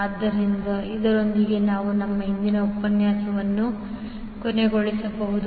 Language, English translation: Kannada, So with this we can close our today’s session